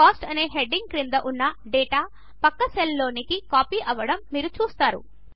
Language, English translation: Telugu, You see that the data under the heading Cost gets copied to the adjacent cells